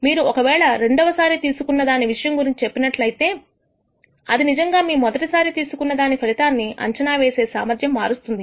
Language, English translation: Telugu, If you tell me some information about the second pick would it actually change your ability to predict the outcome of the first pick